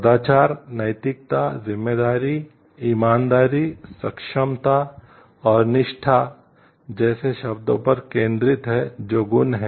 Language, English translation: Hindi, Virtue ethics focuses on words such as responsibility, honesty, competence and loyalty which are virtues